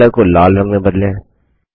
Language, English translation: Hindi, Change the font color to red